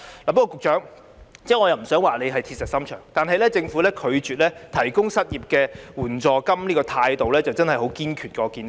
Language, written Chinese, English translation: Cantonese, 局長，我不想說你是鐵石心腸，但政府過去拒絕提供失業援助金的態度真的很堅決。, Secretary I do not want to describe you as hard - hearted but the Government has stood very firm in the past when refusing to provide an unemployment assistance